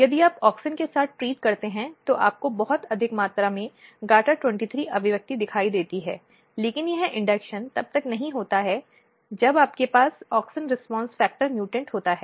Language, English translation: Hindi, So, if you treat with auxin you see very high amount of GATA23 expression, but this induction is not happening when you have auxin response factor mutant